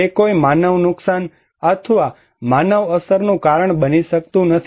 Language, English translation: Gujarati, It cannot cause any human loss or human effect